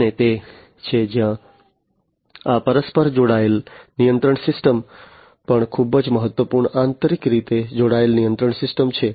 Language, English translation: Gujarati, And that is where this interconnected control system is also very important interconnected control system